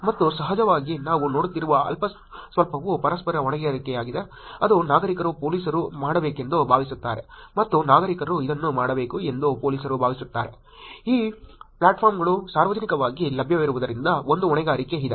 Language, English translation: Kannada, And of course, the little that we have seen little that is being looked at there is also mutual accountability that is going on citizens think that police should be doing and police think that citizens should be doing it, there is a accountability, in terms of, because this platforms publicly available